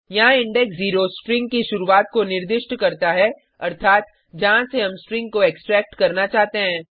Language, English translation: Hindi, Here index 0 specifies start of a string, i.e